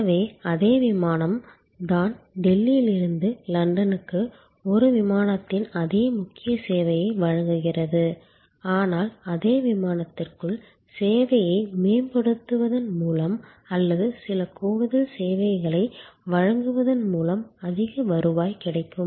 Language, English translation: Tamil, So, it is the same flight offering the same core service of a flight from Delhi to London, but within that same flight we can have pockets of much higher revenue by enhancing the service or providing some additional service